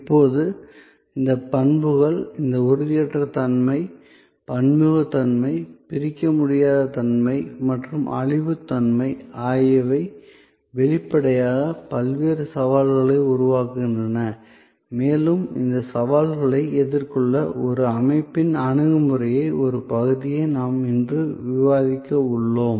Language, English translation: Tamil, Now, these characteristics, this intangibility, heterogeneity, inseparability and perishability, obviously creates many different challenges and we are going to discuss today one part of a system's approach to address these challenges